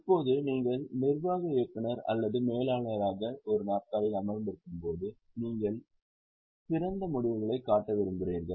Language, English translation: Tamil, Now, when you are sitting in the chair of managing director or as somebody who is manager, there is likelihood that you would like to show better results